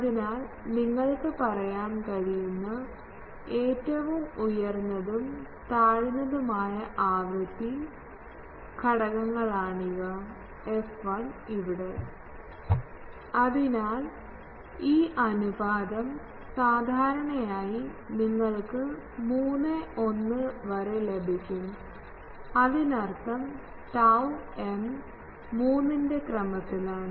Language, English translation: Malayalam, So, these are the highest and lowest frequency components you can say f 1 f 1 here So, this ratio typically you can get 3 is to 1; that means, tau m is of the order of 3 ok